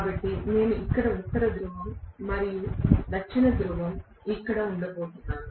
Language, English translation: Telugu, So, I am going to have probably North Pole here and South Pole here